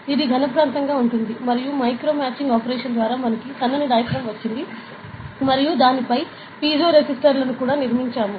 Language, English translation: Telugu, So, this will be a solid region and by micro machining operation we have got a thin diaphragm and we have also build piezoresistors on it, ok